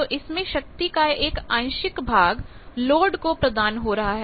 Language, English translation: Hindi, So, again some of that power will come back to the load